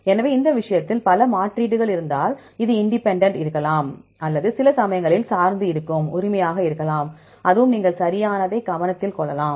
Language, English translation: Tamil, So, in this case, if there are multiple substitutions right may be independent, or sometimes dependent right, that also we can you can take into consideration right